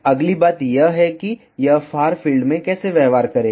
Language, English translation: Hindi, The next thing is how will it behave in far field